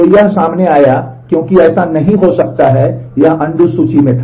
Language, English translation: Hindi, So, it came across because it could not be it was on the undo list